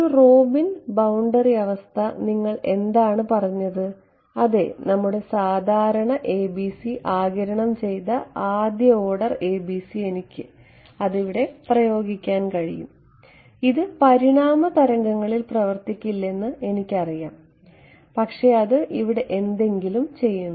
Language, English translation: Malayalam, Robin boundary condition what did you say yeah our usual ABC absorbing first order ABC I can apply it over here that works anyway for I know it does not work for evanescent waves, but still it does something